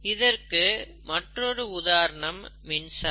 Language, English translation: Tamil, A classic example is electricity